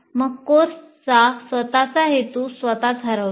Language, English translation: Marathi, Then the very purpose of the course itself is lost